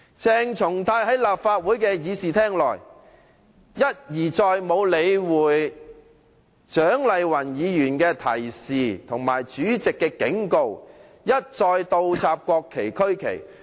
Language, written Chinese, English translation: Cantonese, 鄭松泰在立法會的議事廳內，沒有理會蔣麗芸議員的勸諭和主席的警告，一而再倒插國旗和區旗。, On that day in the Chamber of the Legislative Council CHENG Chung - tai had ignored the advice of Dr CHIANG Lai - wan and the warning of the President and inverted the national flags and regional flags more than once